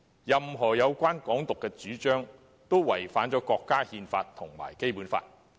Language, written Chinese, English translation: Cantonese, 任何有關"港獨"的主張，均違反國家憲法和《基本法》。, Any advocacy of Hong Kong independence is in violation of the national Constitution and the Basic Law